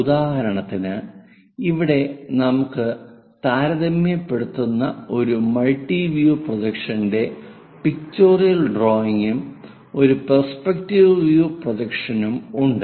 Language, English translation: Malayalam, For example, here a multi view projection a pictorial drawing and a perspective drawing are compared